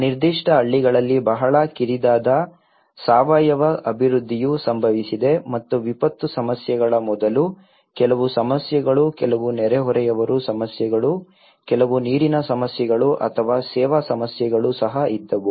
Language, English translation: Kannada, Were very narrow, very organic development happened in that particular villages and of course there was also some problems before the disaster issues, with some neighbours issues, with some water issues or the service issues